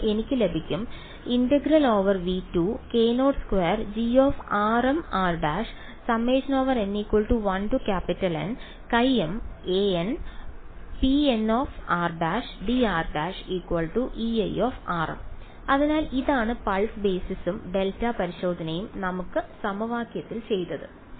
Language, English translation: Malayalam, So, this is what pulse basis and delta testing has done to our equation